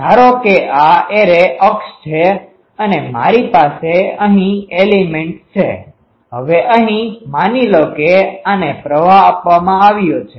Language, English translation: Gujarati, Suppose, this is a array axis and I have elements here, now here suppose, the this is fed